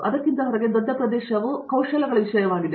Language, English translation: Kannada, Outside of that, that the larger area is the skill sets thing